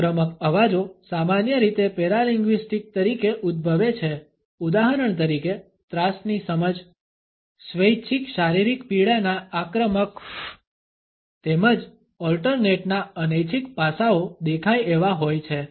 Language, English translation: Gujarati, Ingressive sounds occur more commonly as paralinguistic alternates, for example a grasp of terror an ingressive “fff” of physical pain voluntary as well as involuntary aspects of alternates are visible